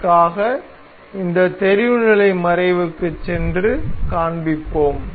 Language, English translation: Tamil, For that we will go to this visibility hide and show